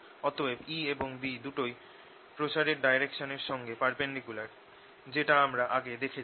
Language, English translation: Bengali, so both e and b are perpendicular to direction of propagation, as we had indeed argued earlier